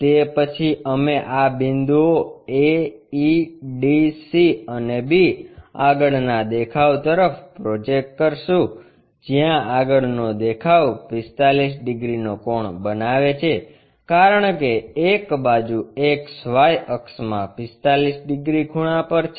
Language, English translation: Gujarati, After that we projected these points a, e, d, c and b all the way into that front view, where the front view is making an angle of 45 degrees because one of the size is 45 degrees inclined to this XY axis